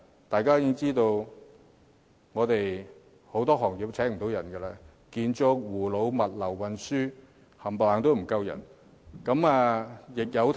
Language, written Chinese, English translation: Cantonese, 大家也知道很多行業無法聘請人手，建築、護老、物流、運輸等行業全部人手不足。, It is commonly known that a number of industries have failed to recruit workers . Such industries as construction elderly care logistics and transport are all facing a shortage of manpower